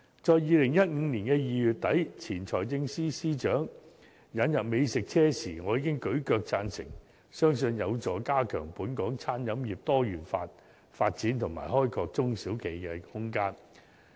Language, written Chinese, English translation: Cantonese, 在2015年2月底，當前財政司司長宣布引入美食車時，我已"舉腳"贊成，相信有助加強本港餐飲業多元化發展及開拓中小企的空間。, When the former Financial Secretary announced the introduction of food trucks to Hong Kong in February 2015 I rendered total support to the initiative believing that this could boost the diversified development of the local catering industry and help SMEs tap into the market